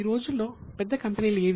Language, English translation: Telugu, Today which are the big companies